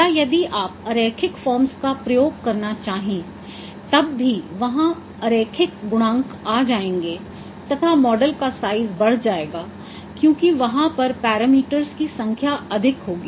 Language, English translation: Hindi, Or if you want to use the nonlinear forms, then also there will be coefficients regarding the nonlinear terms and your model size will be increasing but as there would be more number of parameters